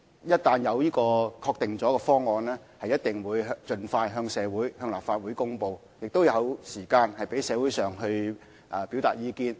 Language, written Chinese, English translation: Cantonese, 一俟有確定方案，我們定必盡快向立法會和社會大眾匯報，亦會有時間讓社會各界表達意見。, Once we come up with a final plan we will definitely report to the Legislative Council and the public as soon as possible . Also all walks of society will have time to express their views